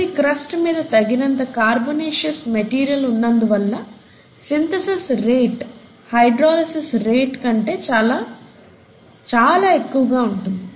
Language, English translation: Telugu, And since there were sufficient carbonaceous material available in the earth’s crust, the rate of synthesis was much much higher than the rate of hydrolysis